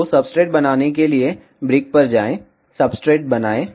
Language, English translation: Hindi, So, to make substrate, go to brick, make substrate